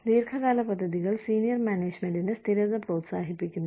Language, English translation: Malayalam, Long term plans encourage, stability for senior management